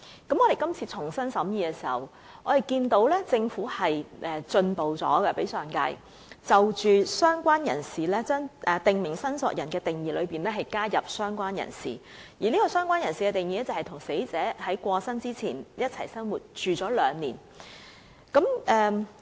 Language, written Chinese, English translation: Cantonese, 不過，我們今次重新審議《條例草案》時，便發現政府比上一屆進步，在"訂明申索人"的定義中加入了"相關人士"的類別，而"相關人士"的定義則為與死者在去世前共同生活了兩年的人。, When we scrutinized the Bill afresh this time around we noticed that the Government has made improvement to the Bill by adding related person as a category of prescribed claimant where a related person is defined as a person who had been living in the same household with the deceased for two years